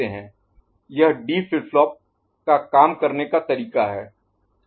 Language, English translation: Hindi, So, this is the D flip flop that is the way to work